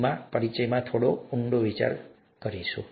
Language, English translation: Gujarati, Now let me, get a little deeper in this introduction itself